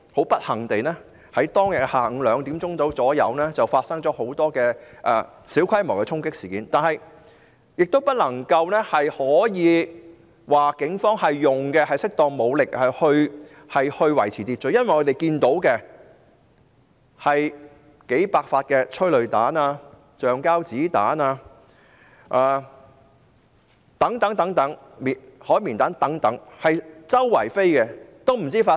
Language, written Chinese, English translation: Cantonese, 不幸地，下午2時左右發生了很多小規模的衝擊事件，警方並沒有使用適當的武力以維持秩序，原因是警方發射了數百發催淚彈、橡膠子彈及海綿彈等。, Unfortunately a lot of minor storming incidents happened at around 2col00 pm . The Police did not deploy appropriate force to maintain order because it fired several hundred rounds of tear gas rubber bullets sponge bullets etc